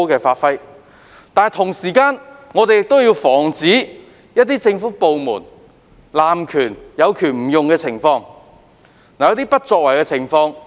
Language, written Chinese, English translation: Cantonese, 不過，與此同時，我們也要防止有政府部門濫權或有權不用的情況。, But at the same time we must also prevent government departments from abusing their powers or refusing to use their powers